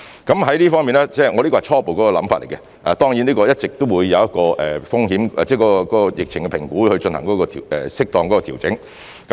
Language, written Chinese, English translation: Cantonese, 在這方面——這是我的初步想法——當然，一直都會因應對疫情的評估來進行適當的調整。, In this regard―this is my preliminary view―of course appropriate adjustments will always be made in the light of the assessment of the epidemic situation